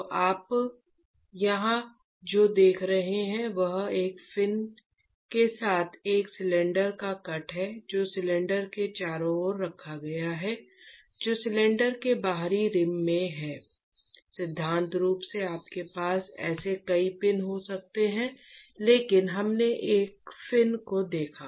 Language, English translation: Hindi, So, what you see here is essentially the cut open of a cylinder with a fin which is placed around the cylinder which is in the outer rim of the cylinder in principle you can have multiple such fins, but let us first look at one fin